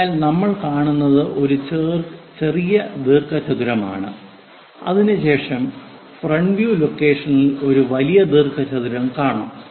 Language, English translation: Malayalam, So, what we see is a small rectangle followed by a large rectangle at the front view location